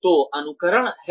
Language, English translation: Hindi, So, there is simulation